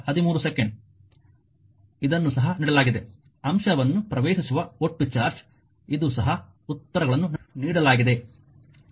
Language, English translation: Kannada, This is also given the total charge entering the element this is also answers given